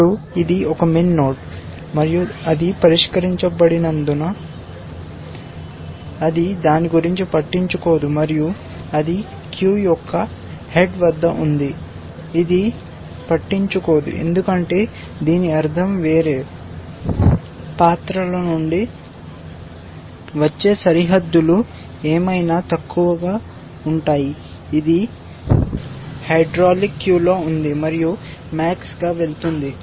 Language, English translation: Telugu, Now, since it is a min node and it is solved, it does not care about it, and it is at the head of the queue, it does not care because this means whatever the bounds that are coming from elsewhere will be lower than this, it is in the hydraulic queue and max is going to